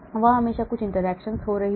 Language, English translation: Hindi, there is always going to be some interaction